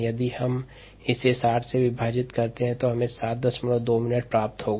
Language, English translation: Hindi, if we divide this by sixty, we get seven point two minutes